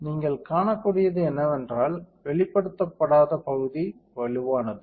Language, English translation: Tamil, What you can see is that the unexposed area became stronger right